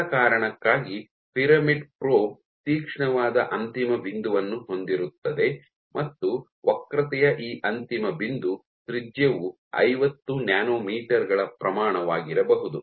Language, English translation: Kannada, For the simple reason is a pyramidal probe, you have a very sharp end point and this end point might be the end radius of curvature might be the order of 50 nanometres